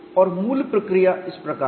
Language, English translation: Hindi, And the approach is like this